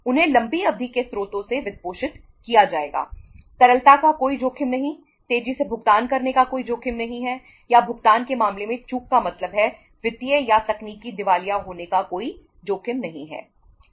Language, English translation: Hindi, They will be funded from the long term sources, no risk of liquidity, no risk of uh say making the fast payments or means defaulting in terms of the payment, no risk of the financial or the technical insolvency nothing